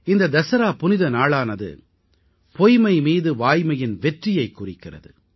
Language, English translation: Tamil, The festival of Dussehra is one of the triumph of truth over untruth